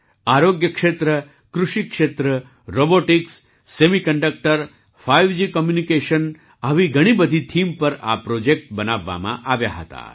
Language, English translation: Gujarati, Healthcare, Agriculture, Robotics, Semiconductors, 5G Communications, these projects were made on many such themes